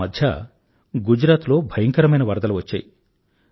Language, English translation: Telugu, Gujarat saw devastating floods recently